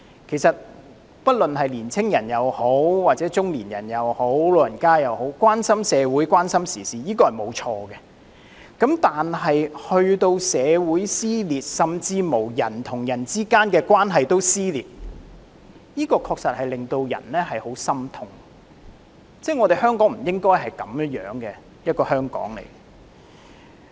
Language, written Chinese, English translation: Cantonese, 其實，不論是青年人、中年人或長者，關心社會和時事並沒有錯，但如果令社會撕裂，甚至人與人之間的關係都撕裂，確實令人感到十分心痛，香港不應是這樣的。, As a matter of fact there is nothing wrong for young people middle - aged people or the elderly to keep an interest in society and current affairs . Yet it would be heart - rending indeed if rifts are slit not just in society but also in interpersonal relationships . Hong Kong should not be like this